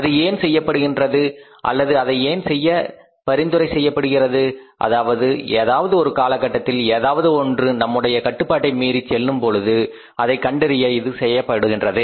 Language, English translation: Tamil, Now why it has been done or why it is suggested to be done just to find out that if anything at any time or at any point of time things go out of control